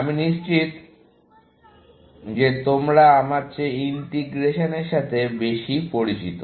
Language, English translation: Bengali, I am sure that you people are more familiar with integration than I am